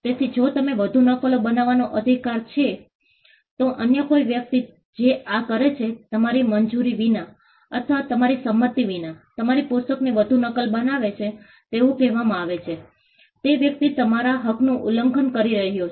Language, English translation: Gujarati, So, if you have the right to make further copies, any other person who does this, making further copies of your book without your approval or your consent is said to be infringing your right that person is violating a right that you have